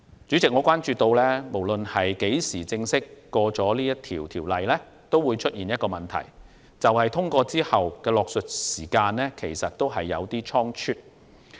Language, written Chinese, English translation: Cantonese, 主席，我關注到《條例草案》無論何時正式獲得通過，仍有一個問題，就是《條例草案》獲得通過後的落實時間有點倉卒。, President my concern is that no matter when the Bill is officially passed the implementation of the Bill after its passage is a bit hasty